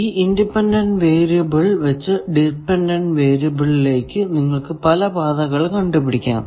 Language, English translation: Malayalam, You are going from one independent variable to one dependent variable